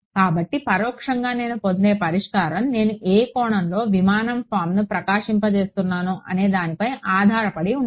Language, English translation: Telugu, So, implicitly the solution that I get depends on how which angle I am illuminating the aircraft form right